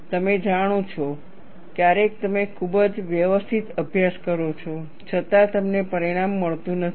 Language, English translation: Gujarati, You know, sometimes you do a very systematic study, yet you do not get a result